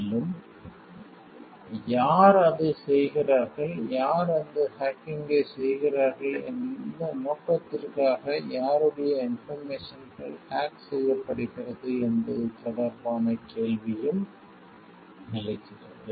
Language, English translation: Tamil, And also the question that arises related to it who is doing it, who is doing that hacking and for what purpose and, whose information is getting hacked